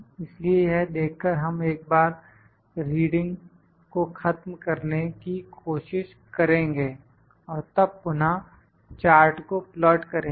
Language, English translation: Hindi, So, to see that we can just once try to eliminate that reading and then plot the chart again